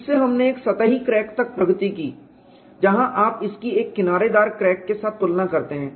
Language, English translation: Hindi, From this, we have graduated to a surface crack, where in you compare it with an edge crack